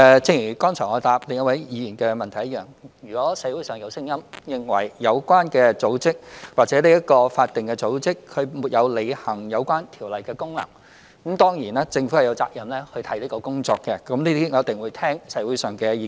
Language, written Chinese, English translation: Cantonese, 正如我剛才回答另一位議員的補充質詢一樣，如果社會上有聲音，認為有關組織或法定組織沒有履行有關條例的功能，當然，政府便有責任看看這些工作，我們一定會聆聽社會的意見。, As I said in my reply to the supplementary question of another Member if there is opinion in the community that the relevant organizations or statutory bodies have failed to perform their functions under the relevant laws the Government is definitely obliged to examine such work and we will surely listen to the views of the community